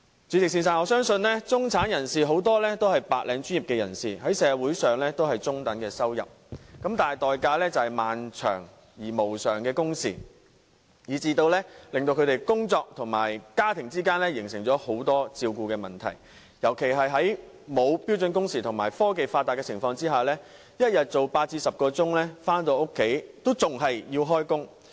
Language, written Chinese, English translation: Cantonese, 主席，我相信很多中產人士也是白領專業人士，賺取中等收入，但代價卻是漫長而無償的工時，以致他們因為工作而難以照顧家庭，特別是在沒有標準工時保障的情況下，加上科技發達，每天上班工作8小時至10小時，而回家後仍須工作。, President I believe that a lot of middle - class people are white - collar workers belonging to the middle income group who are subject to long uncompensated overtime hours . Working all day long without the protection of standard working hours these people are unable to take care of whose families . Due to advances in technology they work 8 to 10 hours a day but still they have to work beyond that after they got home